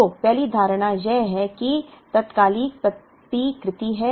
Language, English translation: Hindi, So, the first assumption is there is instantaneous replenishment